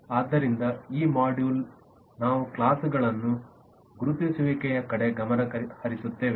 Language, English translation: Kannada, so this module, we will focus on identification of classes